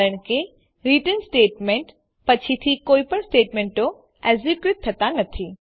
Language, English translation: Gujarati, This is because after return statement no other statements are executed